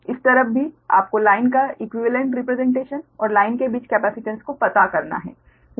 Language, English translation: Hindi, you have to find the equivalent representation as well as the capacitance of the line